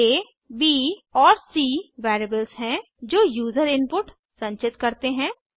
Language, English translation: Hindi, $a, $b and $c are variables that store user input